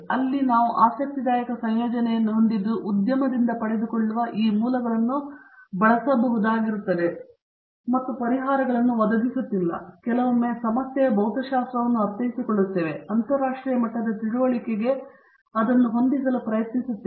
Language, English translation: Kannada, That is where we have an interesting combination that we are able to use these sources that we get from the industry and try to match it to international levels of understanding, not just offering the solutions sometimes it is understanding the physics of the problem